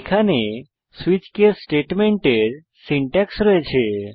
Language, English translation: Bengali, Here is the syntax for a switch case statement